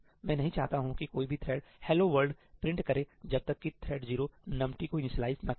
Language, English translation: Hindi, I did not want any thread to print ëhello worldí until thread 0 had initialized numt